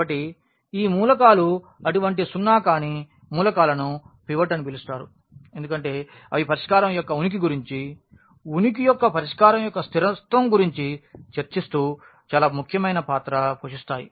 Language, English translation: Telugu, So, these such elements the such non zero elements will be called pivot because they play a very important role now discussing about the about the consistency of the solution about the existence non existence of the solution